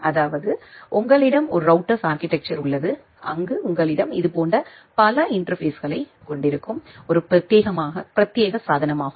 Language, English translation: Tamil, So that means, you have a router architecture where you will have multiple such interfaces, a dedicated device